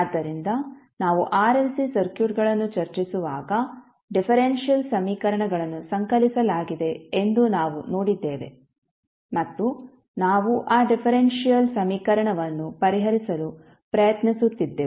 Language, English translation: Kannada, So when we were discussing the RLC circuits we saw that there were differential equations compiled and we were trying to solve those differential equation